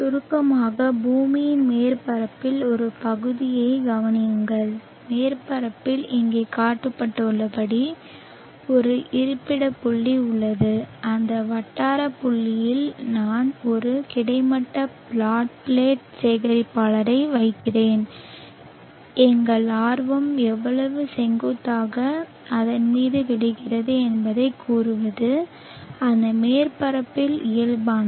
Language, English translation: Tamil, To summarize consider a portion of the earth surface and on the surface there is a locality point as shown here and at that locality point I am placing a horizontal flat plate collector and out interest is to say how much amount of insulation falls on it perpendicularly normal to that surface